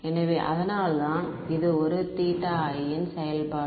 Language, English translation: Tamil, So, that is why it is a function of theta i